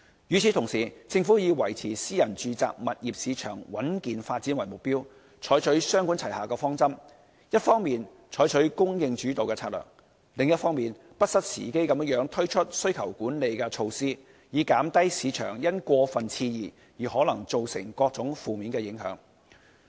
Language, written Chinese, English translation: Cantonese, 與此同時，政府以維持私人住宅物業市場穩健發展為目標，採取雙管齊下的方針，一方面採取"供應主導"策略，另一方面不失時機地推出需求管理措施，以減低市場因過分熾熱而可能造成的各種負面影響。, Meanwhile with the aim of maintaining a steady development in the private residential property market the Government has adopted a two - pronged approach of using both a supply - led strategy and timely demand - side management measures to minimize the possible negative impacts arising from the overheated market